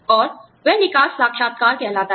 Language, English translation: Hindi, And, that is called the exit interview